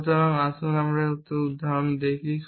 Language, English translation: Bengali, So, let us see an example of this